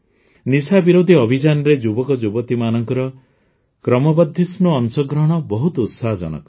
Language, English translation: Odia, The increasing participation of youth in the campaign against drug abuse is very encouraging